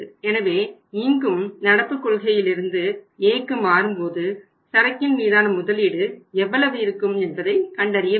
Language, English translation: Tamil, So here also we are going to find out that when you are moving from the policy A current to A how much investment in the inventory we are going to make